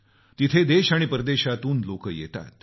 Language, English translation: Marathi, People arrive there from the country and abroad